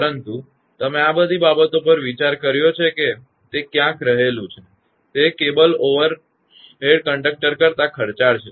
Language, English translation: Gujarati, But you have consider all these things but one thing is there; that cable is expensive than the overhead conductor